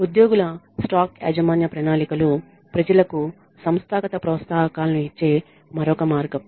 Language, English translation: Telugu, Employee stock ownership plans are another way of giving people organizational incentives